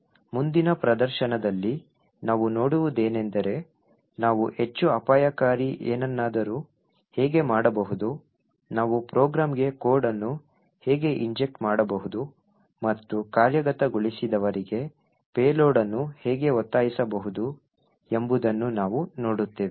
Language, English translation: Kannada, In the next demonstration what we will see is how we could do something which is more dangerous, we would see how we could actually inject code into a program and force a payload to the executed